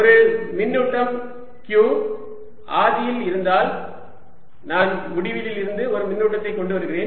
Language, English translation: Tamil, also, if i have a charge q at the origin and i am moving, bringing a charge from infinity again, i'll have